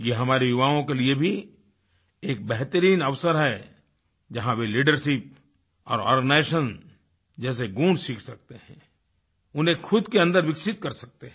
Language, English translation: Hindi, This is an excellent chance for our youth wherein they can learn qualities of leadership and organization and inculcate these in themselves